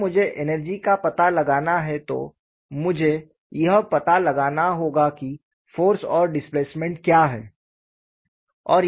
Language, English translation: Hindi, When I have to find out the energy, I need to find out what is the force and displacement